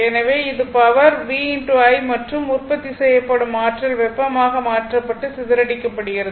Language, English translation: Tamil, So, this is the power v into i and energy produced is converted into heat and dissipated right